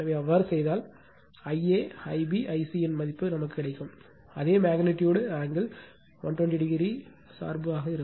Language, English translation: Tamil, So, if you do so you will get value of I a, I b, I c, magnitude same angles also substituted angle dependence will be again 120 degree right